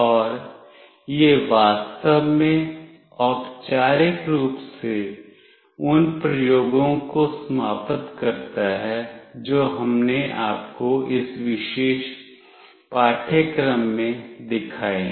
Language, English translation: Hindi, And this actually ends formally the experiments that we have shown you in this particular course